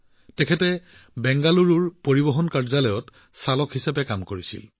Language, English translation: Assamese, Dhanapal ji used to work as a driver in the Transport Office of Bangalore